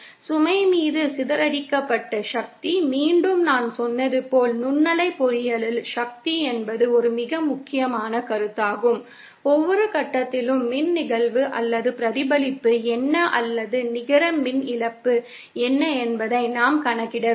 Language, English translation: Tamil, The power dissipated on the load, again as I said, power is a very important concept in microwave engineering, we have to calculate at every point what is the power incident or reflected or what is the net power loss